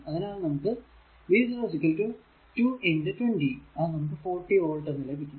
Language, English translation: Malayalam, So, and v 0 is equal to your v got 24 volt, right